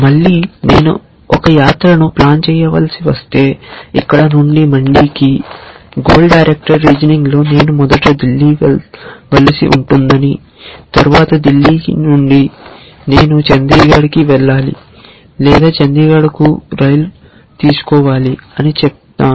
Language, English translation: Telugu, Again let us say that if I have to plan a trip from here to mandi then in goal directed reasoning I would say that first maybe I need to go to Delhi and then from Delhi I need to fly to Chandigarh or take a train to Chandigarh and then take a bus or car or something and then work out the details later essentially